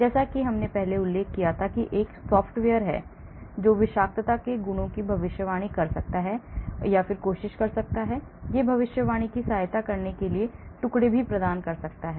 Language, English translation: Hindi, Like I mentioned there is a software which tries to predict toxicity properties, it provides fragments to aid interpreting prediction